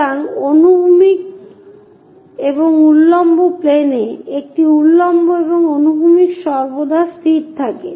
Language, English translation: Bengali, So, horizontal and vertical planes, the vertical one and the horizontal one always fixed